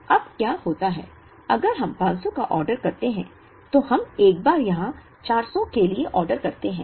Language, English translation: Hindi, Now what happens is, if we order 500, then we order once here for 400